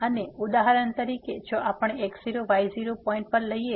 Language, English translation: Gujarati, And for example, if we take at x naught y naught points